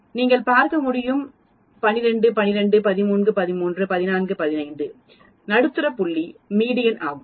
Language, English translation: Tamil, As you can see 12, 12, 13, 13, 14, 15 the middle point is median